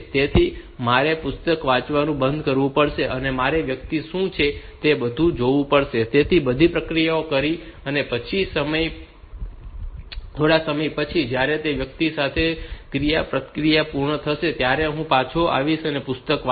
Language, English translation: Gujarati, So, I have to stop the reading the book I have to go open find out what to what that person wants and all that, do all those operations and then again after some time when that interaction with the person is over I will come back and read the book